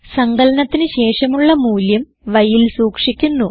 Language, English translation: Malayalam, The value obtained after the addition is stored in y